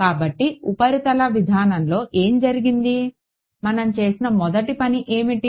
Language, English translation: Telugu, So, what happened in the surface approach, what was the first thing that we did